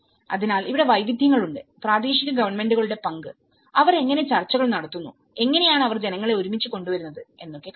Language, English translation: Malayalam, So, that is where, here there is diversities, local governments role you know, how they negotiate and how they bring the people together